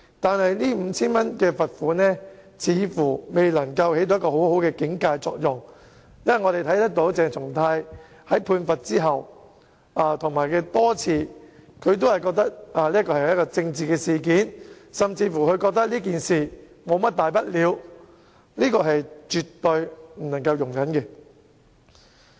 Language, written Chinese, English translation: Cantonese, 但是，這 5,000 元罰款似乎未能發揮很好的警誡作用，因為鄭松泰在被判罰後多次表示這只是一宗政治事件，他甚至認為這只是一宗小事，這是絕對不能容忍的。, Nevertheless it seemed that the fine of 5,000 was not successful in achieving a warning effect . After the sentence was handed down CHENG Chung - tai has repeatedly indicated that this is only a political incident . He even holds that this is a trivial matter